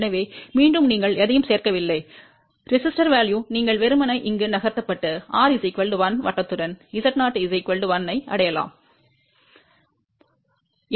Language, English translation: Tamil, So, again you have not added any resistor value, you are simply moved over here and move along r equal to 1 circle to reach Z 0 equal to 1 point